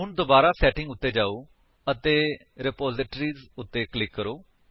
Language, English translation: Punjabi, Now again go to Setting and click on Repositories